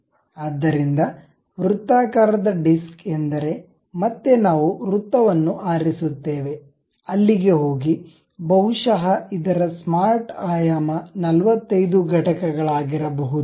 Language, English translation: Kannada, So, a circular disc means again we pick a circle, go there, maybe it might be of smart dimensions 45 units, done